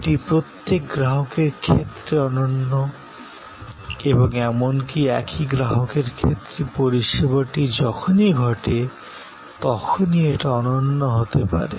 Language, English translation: Bengali, It is unique for each consumer and even for the same consumer; it may be unique every time, the service occurs